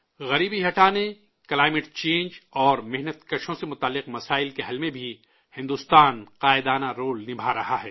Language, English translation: Urdu, India is also playing a leading role in addressing issues related to poverty alleviation, climate change and workers